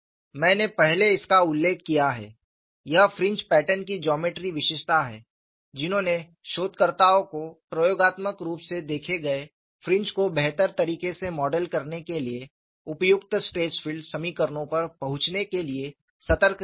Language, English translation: Hindi, I have mentioned this earlier, it is a geometric feature of the fringe patterns that have alerted the researchers in arriving at a suitable stress filed equations to Model experimentally observed fringes better